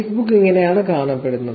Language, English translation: Malayalam, This is how Facebook looks